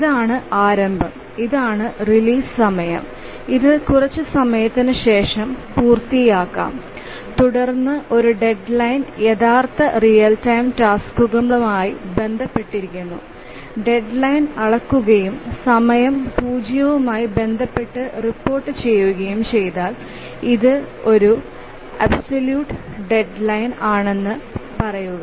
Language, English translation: Malayalam, So this is the start of execution, this is the release time, and this is the start of execution and it may complete after some time and then a deadline is associated with real time tasks and if the deadline is measured and reported with respect to time zero we say that it's an absolute deadline